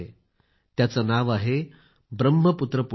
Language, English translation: Marathi, It's called Brahmaputra Pushkar